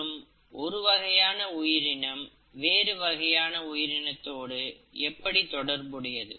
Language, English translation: Tamil, And how is one species actually related to another